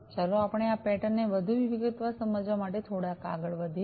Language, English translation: Gujarati, So, let us go through this pattern also little bit, in further detail